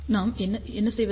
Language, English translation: Tamil, How do we get this